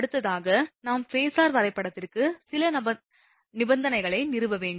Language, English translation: Tamil, Now, this next we will come to the phasor diagram, that we have to establish some condition